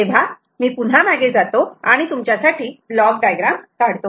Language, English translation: Marathi, so let me go back and write a block diagram for you